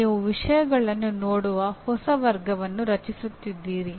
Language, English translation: Kannada, You are creating a new way of looking at things